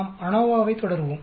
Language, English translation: Tamil, We will continue on ANOVA